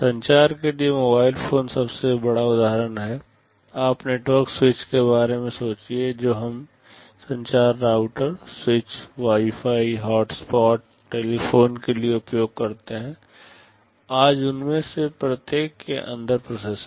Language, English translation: Hindi, For communication the mobile phones is the biggest example; you think of the network switches that we use for communication routers, switch, Wi Fi hotspots, telephones there are processors inside each of them today